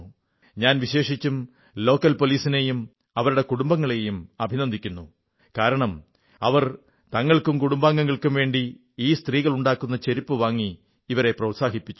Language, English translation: Malayalam, I especially congratulate the local police and their families, who encouraged these women entrepreneurs by purchasing slippers for themselves and their families made by these women